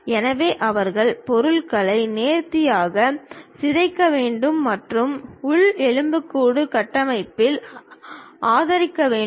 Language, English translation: Tamil, So, they have to deform the object in a nice way and that supposed to be supported by the internal skeleton structure